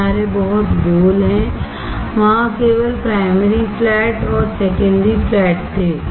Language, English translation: Hindi, The edge is very round, only primary flat and secondary flat there were there